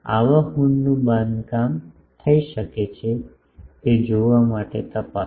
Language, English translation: Gujarati, Check to see if such a horn can be constructed physically